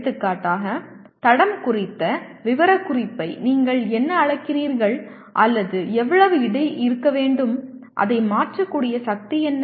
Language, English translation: Tamil, For example, it may have a, what do you call specification on the footprint or how much it should weigh, what is the power it should be able to convert